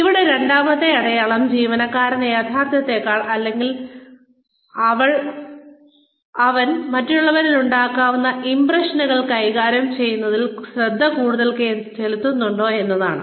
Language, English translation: Malayalam, The second sign here is, does the employee devote more attention to managing the impressions, she or he makes on others, than to reality